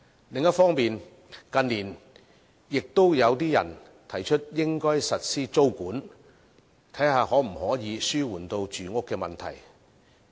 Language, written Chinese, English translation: Cantonese, 另一方面，近年亦有些人提出應該實施租務管制，看看可否紓緩住屋問題。, On the other hand some people have in recent years proposed the implementation of tenancy control in an attempt to alleviate the housing problem